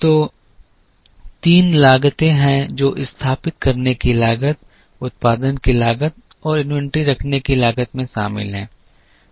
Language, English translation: Hindi, So, there are three costs that are involved the cost of setting up, the cost of production and the cost of holding inventory